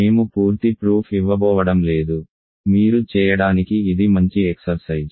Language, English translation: Telugu, So, I am not going to give the full proof, it is a good exercise for you to do